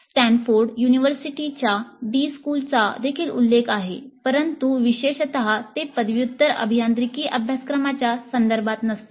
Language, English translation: Marathi, The D school of Stanford University is also mentioned, but that was not specifically in the context of undergraduate engineering curricula